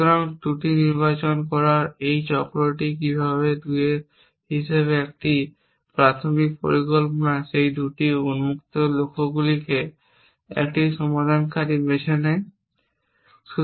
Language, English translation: Bengali, So, this cycle of choosing of flaw how a initial plan as 2 flaws those 2 open goals choosing a resolver